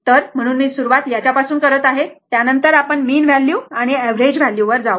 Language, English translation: Marathi, So, that is why I have started with this one first, then we will come to the mean value and average value